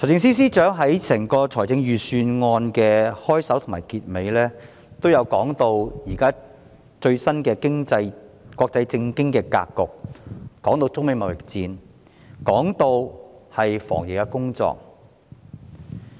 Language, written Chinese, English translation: Cantonese, 財政司司長在財政預算案的開首和結尾部分均提及最新的國際政經格局，也談到中美貿易戰和防疫工作。, The Financial Secretary talks about the latest international political and economic landscape the China - United States trade conflicts and anti - epidemic efforts in the introduction and concluding remarks of the Budget